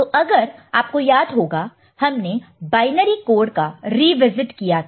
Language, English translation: Hindi, So, if you remember the quick revisit of the binary code